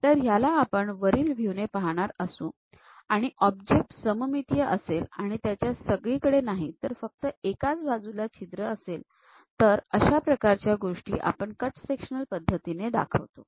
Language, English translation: Marathi, So, here if we are looking the top view, object symmetric and we have hole only on one side, not everywhere and we would like to show such kind of cut sectional view